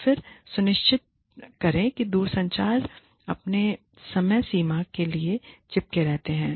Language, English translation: Hindi, Then, make sure, the telecommuters stick to their deadlines